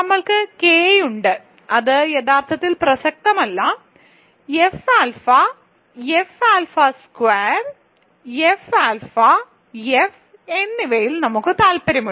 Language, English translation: Malayalam, So, we have K which is actually not relevant we are really interested in F alpha, F alpha squared, F alpha, F